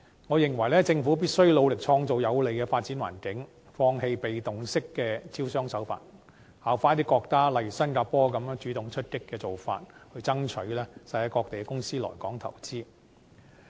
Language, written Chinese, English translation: Cantonese, 我認為，政府必須努力創造有利的發展環境，放棄被動式的招商手法，效法一些國家，例如新加坡，主動出擊的做法，去爭取世界各地的公司來港投資。, I think the Government must make continuous effort to create a favourable development environment relinquish passive approaches to investment promotion and adopt the practices of certain countries such as Singapore in playing a proactive role so as to attract companies all over the world to come to invest in Hong Kong